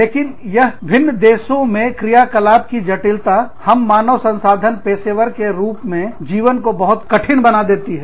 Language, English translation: Hindi, But, it is, i mean, the complexity of functioning in different countries, makes our lives as HR professionals, very, very, complex